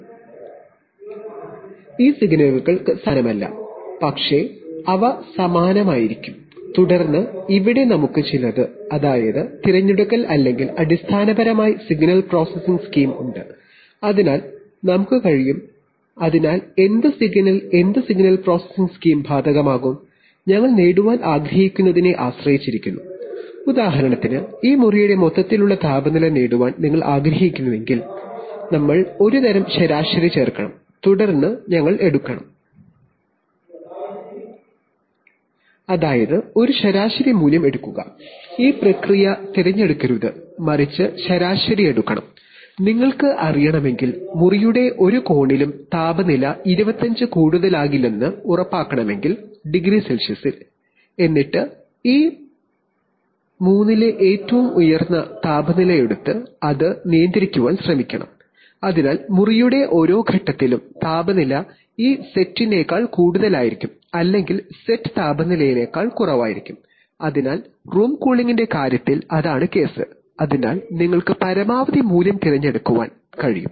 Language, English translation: Malayalam, So these signals are not identical but they are, there will be similar and then here we have some, I mean, selection or basically signal processing scheme, so we can, so what signal, what signal processing scheme will apply, depends on what we want to achieve, so for example if you want to achieve an overall temperature of this room, so then we should, add some sort of an average then we should take, That, take an average value, this process should not select but rather take average, if you want to know, if you want to ensure that, in no corner of the room, the temperature will be more than 250C, then we should take the highest temperature of these three and try to control that, so temperature at every point of the room will be more than this set or the will be less than the set temperature, so in case of room cooling that that is the case, so in that case we can you can choose the maximum value, right, there are even other applications for example sometimes you know there are very catastrophic effects can occur in, occur in feedback control loops if one of the sensors feel